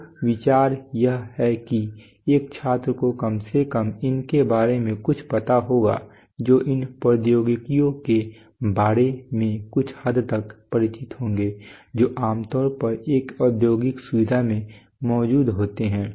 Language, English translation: Hindi, So the idea is that a student would know atleast something about these would be familiar to an extent about these technologies which typically exist in an industrial facility